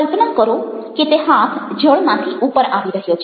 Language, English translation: Gujarati, imagine that hand is a emerging out of the water